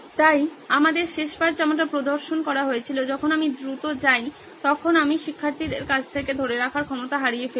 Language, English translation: Bengali, So represented like what we had last time is when I go fast I lose out on retention from the students